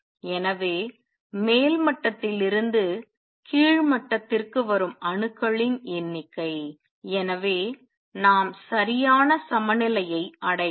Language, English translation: Tamil, So, does the number of atoms that come down from the upper level to lower level and therefore, we may achieve properly equilibrium